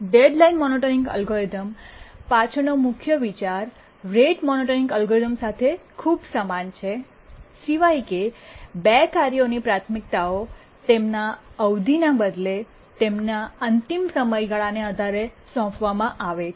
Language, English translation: Gujarati, It's very similar to the rate monotonic algorithm, excepting that the priorities to tasks are assigned based on their deadlines rather than their periods